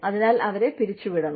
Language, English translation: Malayalam, So, they have to be laid off